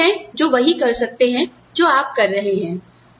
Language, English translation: Hindi, How many people are there, who can do the same thing, that you are doing